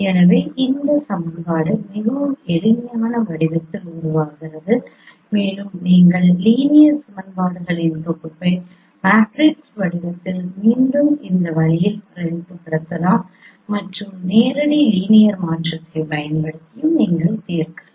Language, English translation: Tamil, So this equation becomes a in a much more simpler form and you can represent the set of linear equations again in the matrix form in this in this way and you can solve using direct linear transform